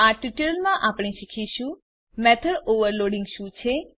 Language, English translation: Gujarati, In this tutorial we will learn What is method overloading